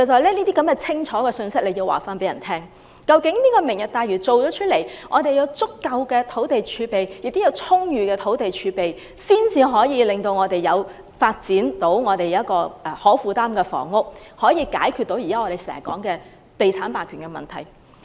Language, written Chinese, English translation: Cantonese, 政府必須清楚告知市民，"明日大嶼"完成後，我們會有足夠而且充裕的土地儲備，屆時才可發展可負擔的房屋，解決我們經常說的地產霸權問題。, The Government must explicitly tell the public that upon the completion of the Lantau Tomorrow project we will have ample land reserves and only by then can affordable housing be developed to resolve the problem of real estate hegemony that we mention time and again